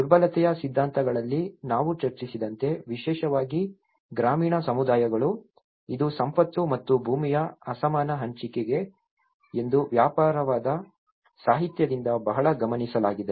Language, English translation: Kannada, The especially the rural communities as we discussed in the theories of vulnerability, it has been noted very much from the extensive literature that it’s unequal distribution of wealth and land